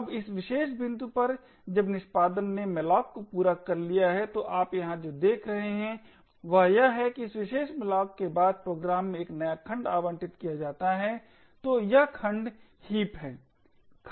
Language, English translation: Hindi, Now at this particular point when the execution has just completed malloc, so what you see over here is that after this particular malloc a new segment gets allocated in the program, so this segment is the heap